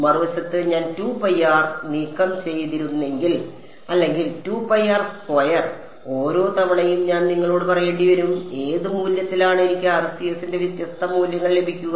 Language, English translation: Malayalam, On the other hand if I had removed this 2 pi r or 4 pi r squared, then I would have to every time tell you at what value of r and I will get different values of the RCS